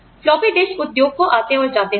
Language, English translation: Hindi, Floppy disk industry, come and go